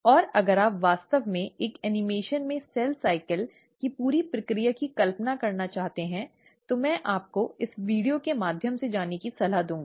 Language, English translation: Hindi, And if you really want to visualize the whole process of cell cycle in an animation, I will recommend you to go through this video